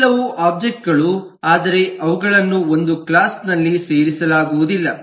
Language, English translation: Kannada, these all are objects but they cannot be put together in a class